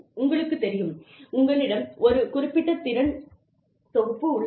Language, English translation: Tamil, You know, you have a certain skill set